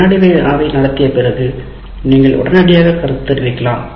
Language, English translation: Tamil, After conducting a quiz, you can give feedback immediately with that